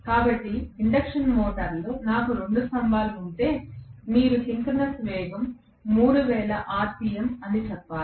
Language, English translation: Telugu, So, if I have 2 poles in an induction motor you should be able to tell that the synchronous speed is 3000 rpm